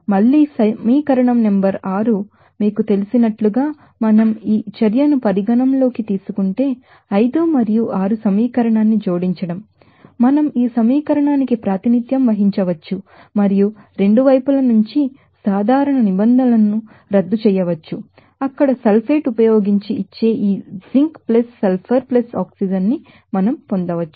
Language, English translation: Telugu, Again, if we consider this reaction as you know equation number 6 then adding equation 5 and 6, we can represent this equation like this and canceling the common terms from both sides we can get this zinc + sulfur + oxygen that will give using sulfate there